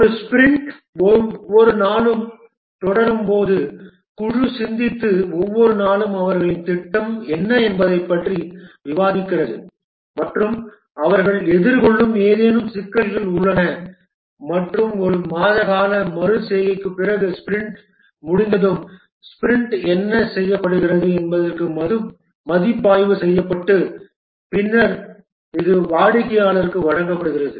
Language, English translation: Tamil, A sprint as it continues every day the team meet and discuss what is their plan for every day and are there any problems that they are facing and after a month long iteration the, the sprint is completed, the sprint is reviewed for what has been accomplished and then it is delivered to the customer